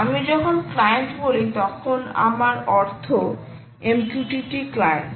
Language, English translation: Bengali, when i say client, i mean mqtt, client